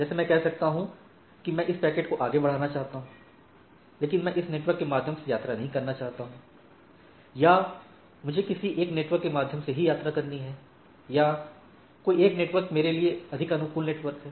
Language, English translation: Hindi, Like I can say, that I want to forward this packet, but I do not want to travel through this network right or I must travel through this network or these are the networks which I which are more friendly networks which my packet need to be travel etcetera, right